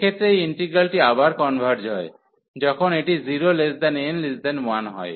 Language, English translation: Bengali, So, in this case this integral converges again, when this is n is between 0 and 1